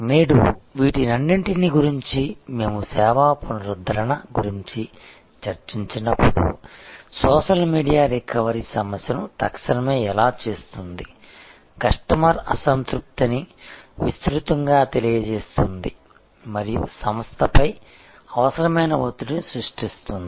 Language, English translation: Telugu, Today, all these can, we have discussed when we discussed service recovery, how social media makes the recovery problem so immediate, makes the customer dissatisfaction known widely and creates the necessary pressure on the organization